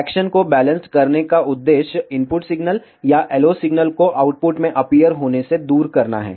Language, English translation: Hindi, The purpose of balancing action is to remove either the input signal or the LO signal from appearing into the output